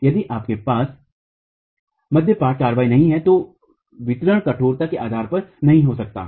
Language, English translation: Hindi, If you do not have diaphragm action, the distribution cannot be based on the stiffnesses